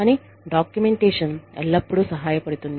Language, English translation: Telugu, But, documentation always helps